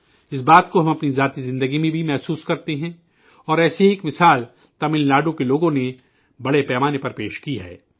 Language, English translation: Urdu, We experience this in our personal life as well and one such example has been presented by the people of Tamil Nadu on a large scale